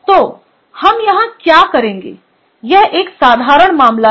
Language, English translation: Hindi, so what we will do here is: this is a more or less a simple case